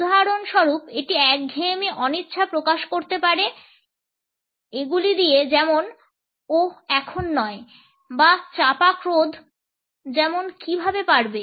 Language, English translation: Bengali, For example, it can express boredom reluctance “oh not now” or suppressed rage “how can you”